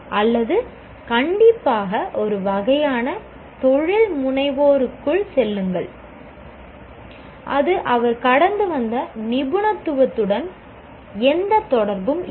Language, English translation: Tamil, I'll just strictly get into a kind of entrepreneurship which has nothing to do with the kind of specialization that he has gone through